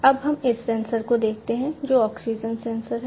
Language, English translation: Hindi, Now let us look at this sensor, which is the oxygen sensor